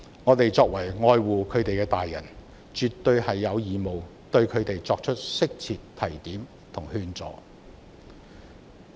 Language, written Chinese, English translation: Cantonese, 我們作為愛護年輕人的成年人，絕對有義務對他們作出適切的提點和勸阻。, As adults who care about youngsters we are definitely obliged to remind and dissuade them appropriately